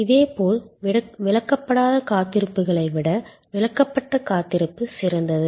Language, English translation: Tamil, Similarly, explained waits are better than unexplained waits